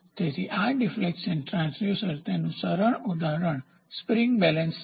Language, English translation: Gujarati, So, the work this deflection type transducer the simple example is spring balance